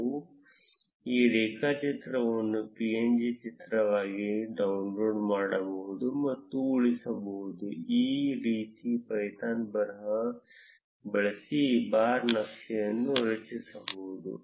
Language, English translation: Kannada, We can also download and save this graph as a png image, this is how a bar chart can be created using python script